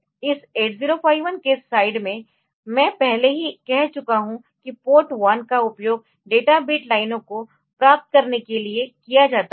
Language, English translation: Hindi, On this 8051 side, I have already said that port one is used for getting the data bit lines